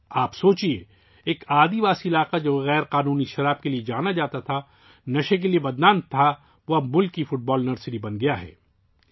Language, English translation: Urdu, Just imagine a tribal area which was known for illicit liquor, infamous for drug addiction, has now become the Football Nursery of the country